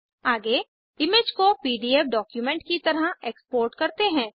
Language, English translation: Hindi, Next lets export the image as PDF document